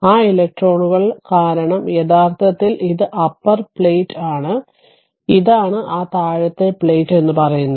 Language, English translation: Malayalam, So, because of that that electrons actually it this is your this is your upper plate and this is that bottom plate say